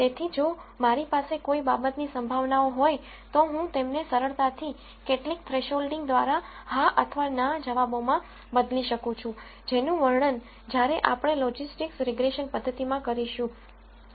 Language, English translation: Gujarati, So, if I have probabilities for something I can easily convert them to yes or no answers through some thresholding, which we will see in the logistics regression methodology when we describe that